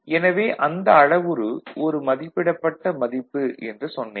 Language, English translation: Tamil, Now, we look at the one practical, so I said that parameter was an estimated value